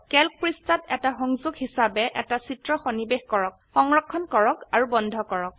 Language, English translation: Assamese, Insert an image as a link in a Calc sheet, save and close it